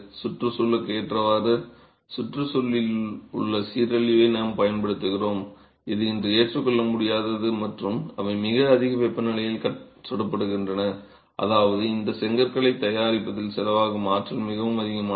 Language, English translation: Tamil, We use top soil which is environmentally degradation in the environment which is today not acceptable and they are fired at very high temperatures which means that the embodied energy in manufacturing these bricks is rather high